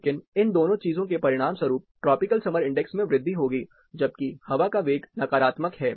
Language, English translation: Hindi, But both of these things will result in increase of tropical summer index, while air velocity is in negative